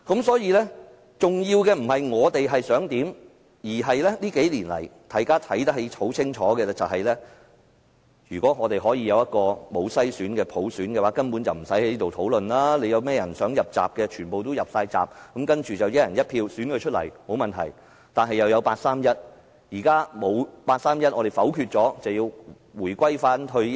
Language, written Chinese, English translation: Cantonese, 所以，重要的不是我們想怎樣，而是這數年來，大家清楚看到，如果在無篩選的普選下，我們現在根本不用在此辯論，誰想"入閘"便全部都"入閘"，然後經由"一人一票"選舉出來，沒有問題，卻有八三一決定。, Instead the point is that we have all realized so clearly in these few years that universal suffrage without screening would have allowed every candidate to enter the race and stand for election by one person one vote without causing us to take part in this debate like we do at this moment . Everything would have been fine under such a system . Yet there was the 31 August Decision